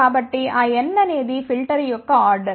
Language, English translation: Telugu, So, that n is the order of the filter